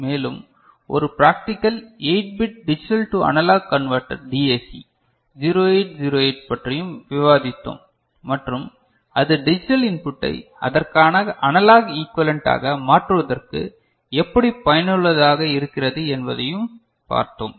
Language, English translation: Tamil, And, we also discussed one practical 8 bit digital to analog converter DAC 0808 and we found, how it is useful in converting a digital input to corresponding analog equivalent